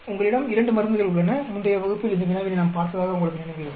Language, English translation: Tamil, You have two drugs, I think you remember we saw this problem in the previous class